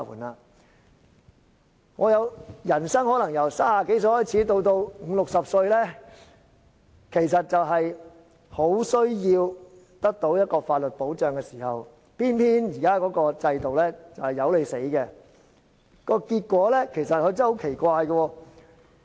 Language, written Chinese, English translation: Cantonese, 在我們人生中，由30多歲至五六十歲的時間，可能是很需要得到法律保障的，但現在的制度卻偏偏不理我們死活。, However during the course of our life from the thirties to fifties or sixties there may be times when we really need legal aid protection and yet under the current system we will just be ignored and will not be given any protection